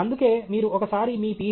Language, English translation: Telugu, That’s why, once you have your Ph